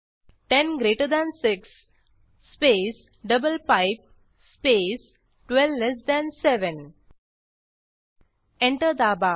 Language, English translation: Marathi, 10 greater than 6 space double pipe space 12 less than 7 Press Enter